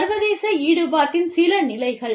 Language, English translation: Tamil, So, some stages of international involvement